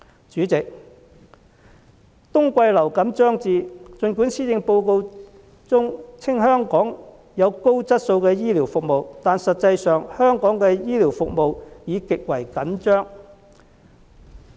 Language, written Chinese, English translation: Cantonese, 主席，冬季流感將至，儘管施政報告稱香港享有高質素的醫療服務，但實際上，香港醫療服務已極為緊張。, President the winter influenza season is approaching . Although the Policy Address says that Hong Kong has high quality health care services in reality the health care services in Hong Kong are very stretched